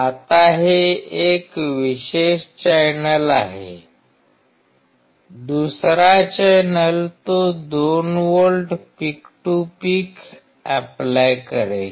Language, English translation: Marathi, Now, this particular is one channel; second channel he will apply 2 volts peak to peak